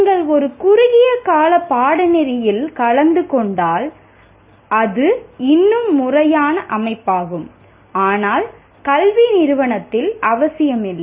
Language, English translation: Tamil, If you are attending a short term course, which is still a formal setting, but not necessarily an educational institution